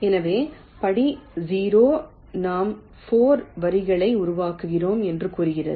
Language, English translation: Tamil, so the step zero says we generate four lines